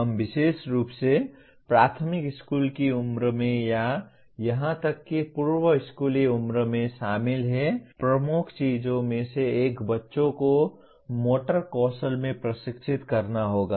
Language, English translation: Hindi, We are involved especially at primary school age or even preschool age one of the major things is the children will have to be trained in the motor skills